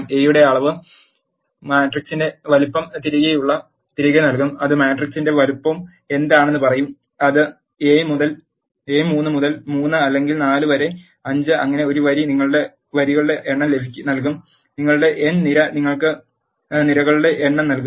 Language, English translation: Malayalam, Dimension of A will return the size of the matrix that will say what is the size of the matrix that is it is a 3 by 3 or 4 by 5 and so on, n row of a will return you number of rows and n column of you will return you number of columns